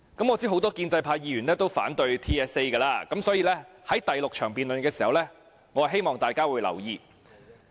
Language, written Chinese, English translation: Cantonese, 我知道很多建制派議員均反對 TSA， 所以在第6項辯論時，我希望大家會留意。, I know that many pro - establishment Members oppose TSA so I hope Members will pay attention to this in the sixth debate . The other one is Amendment No